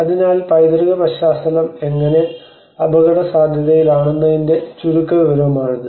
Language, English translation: Malayalam, So this is a very brief overview of how the heritage context comes under risk